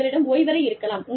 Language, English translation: Tamil, You could have a lounge